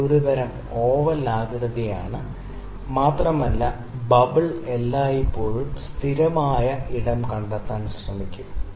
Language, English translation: Malayalam, It is a kind of an oval shape, and the bubble would always try to find the stable space